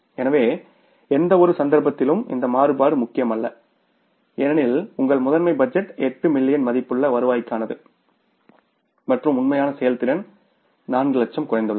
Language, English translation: Tamil, So, in any case this variance is not important because your master budget is for the 8 million worth of the revenue and the actual performance has come down by the 4 lakhs